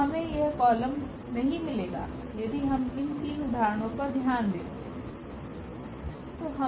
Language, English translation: Hindi, We will not get this column for instance, if we consider just with these three examples